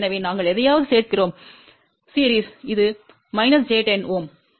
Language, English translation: Tamil, So, we add something in series which is minus j 10 Ohm